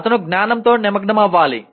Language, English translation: Telugu, He has to engage with the knowledge